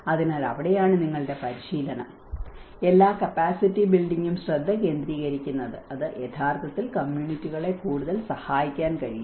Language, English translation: Malayalam, So, that is where your training, all the capacity building will focus so that it can actually help the communities further